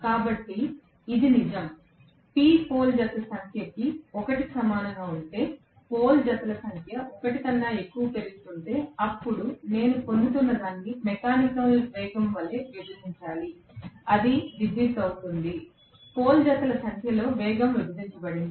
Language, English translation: Telugu, So, this is true, only if P the number of pole pairs so this is only if the number of pole pairs is equal to 1, if the number of pole pairs is increasing more than 1, then I have to divide whatever I am getting as the mechanical velocity that will be electrical velocity divided by the number of pole pairs